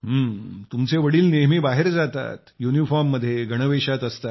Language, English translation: Marathi, So your father goes out, is in uniform